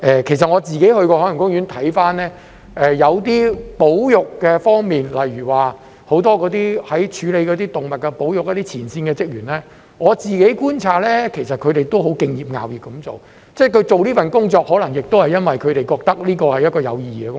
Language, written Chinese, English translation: Cantonese, 其實我自己去過海洋公園，看到有些保育方面，例如很多處理動物保育的前線職員，我觀察到他們其實都很敬業樂業，他們做這份工作，可能亦因為他們覺得這是一份有意義的工作。, In fact I have been to OP myself . Looking at the conservation aspect I observed that the many frontline staff members responsible for animal conservation are actually highly dedicated and enjoy their work very much . They take up the job probably because they consider the work meaningful